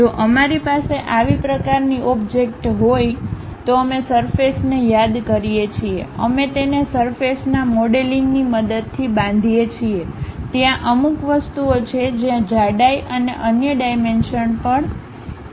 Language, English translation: Gujarati, If we have such kind of objects, we call surface we construct it using surface modelling; there are certain objects where thickness are the other dimensions are also important